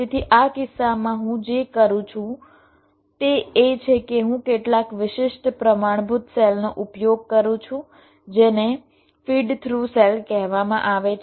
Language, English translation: Gujarati, so what i do in this case is that i used some special standard cells, which are called feed though cells